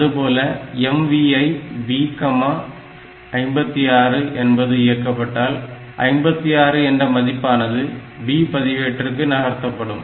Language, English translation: Tamil, So, that means, I want to value want to move the value 56 into the B register